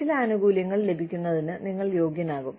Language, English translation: Malayalam, You become eligible, for getting some benefits